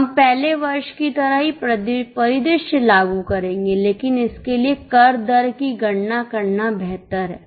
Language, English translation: Hindi, We will apply same scenario like the earlier year but for that it is better to calculate the tax rate